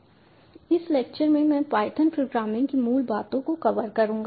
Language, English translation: Hindi, in this lecture we are going to introduce to you the language, the python programming language